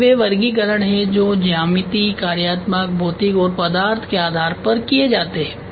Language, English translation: Hindi, These are the classifications which is done based on geometric on functional physical and material